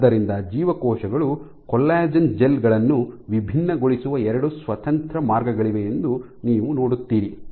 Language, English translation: Kannada, So, you see that there are two independent ways in which you can in which cells can different collagen gels